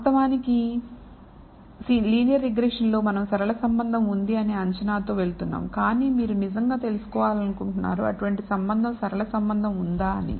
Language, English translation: Telugu, Of course, in linear regression we are going at with the assumption there exists a linear relationship, but you really want to know whether such a relationship linear relationship exists